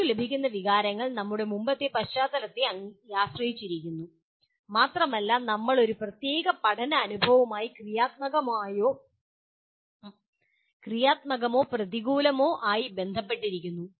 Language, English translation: Malayalam, The feelings that we get are dependent on our previous background and we relate either positively or negatively to a particular learning experience